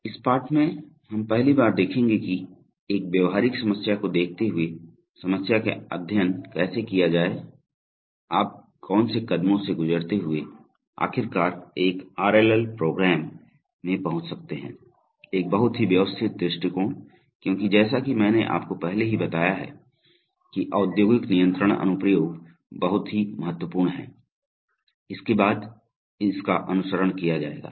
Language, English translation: Hindi, In this lesson for the first time, we will see that, given a practical problem, how to study the problem, how to, what are the steps that you go through to finally arrive at an RLL program, So and this will be followed using a very systematic approach because as I have already told you that industrial control applications are very critical, in the sense that they, if you have programming errors in them, they can be very expensive in terms of money or in terms of, even can cost human lives etc